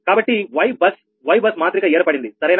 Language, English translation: Telugu, so y bus, y bus matrix is formed, right